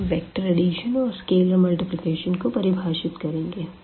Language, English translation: Hindi, So, here the vector addition and this is scalar multiplication is defined as usual